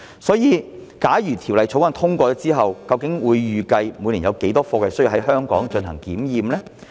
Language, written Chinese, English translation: Cantonese, 所以，假如《條例草案》獲通過，政府預計每年有多少貨櫃需要在香港進行檢驗？, So if the Bill is passed how many containers does the Government anticipate to be examined in Hong Kong each year?